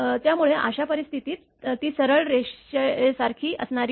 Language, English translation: Marathi, So, in that case it will not be a just not like a straight line